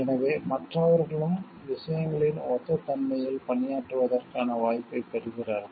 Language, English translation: Tamil, So, other people also get an opportunity to work on similar nature of things